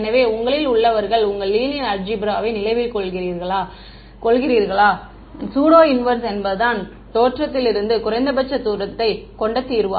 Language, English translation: Tamil, So, those of you remember your linear algebra the pseudo inverse was the solution which had minimum distance from the origin